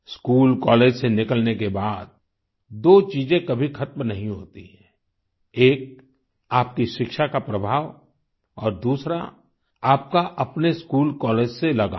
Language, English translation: Hindi, After leaving school or college, two things never end one, the influence of your education, and second, your bonding with your school or college